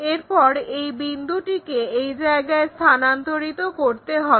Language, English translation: Bengali, Then, transfer this a point precisely to that location